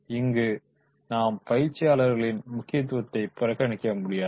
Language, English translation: Tamil, Now here we cannot ignore the importance of the trainer while interacting with the training